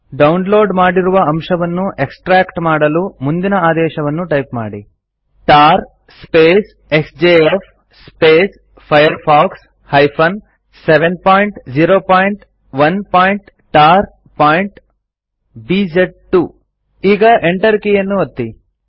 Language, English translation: Kannada, Extract the contents of the downloaded file by typing the following command#160:tar xjf firefox 7.0.1.tar.bz2 Now press the Enter key